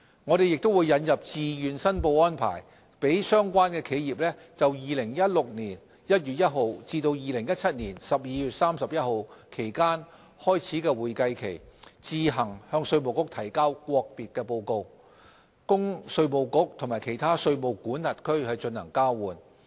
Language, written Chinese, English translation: Cantonese, 我們亦會引入自願申報安排，讓相關企業就2016年1月1日至2017年12月31日期間開始的會計期，自行向稅務局提交國別報告，供稅務局與其他稅務管轄區進行交換。, We will also introduce a voluntary filing arrangement whereby relevant enterprises would be allowed to voluntarily submit their country - by - country reports in respect of an accounting period commencing between 1 January 2016 and 31 December 2017 to IRD for exchange with other jurisdictions